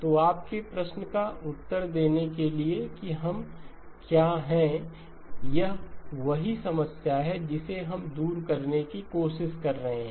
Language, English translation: Hindi, So to answer your question what we are this is exactly the problem that we are trying to address